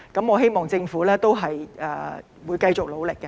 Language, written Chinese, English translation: Cantonese, 我希望政府會繼續努力。, I hope the Government will continue to make efforts